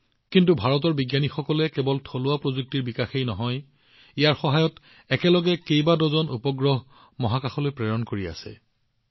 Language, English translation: Assamese, But the scientists of India not only developed indigenous technology, but today with the help of it, dozens of satellites are being sent to space simultaneously